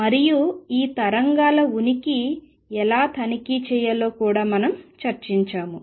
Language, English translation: Telugu, And we have also discussed how to check or test for the existence of these waves